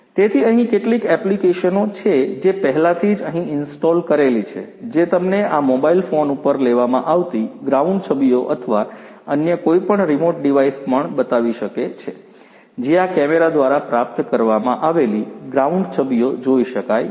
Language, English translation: Gujarati, So, you know there are certain apps that are already installed here, which can help you to view the ground images that are being taken on this mobile phone or any other remote device can also you know show, the ground images that are retrieved through this camera